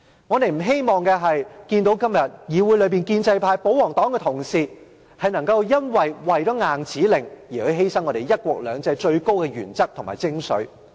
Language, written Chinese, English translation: Cantonese, 我們不希望看到今天議會內建制派、保皇黨的同事，為了硬指令而犧牲"一國兩制"的最高原則及精髓。, We do not wish to see the supreme principle and essence of one country two systems being sacrificed by the pro - establishment and royalist colleagues in order to accomplish this non - negotiable task